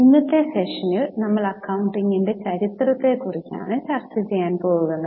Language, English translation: Malayalam, In today, in today's session we'll discuss about evolution or history of accounting